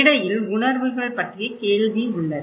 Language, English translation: Tamil, But in between, there is a question of perceptions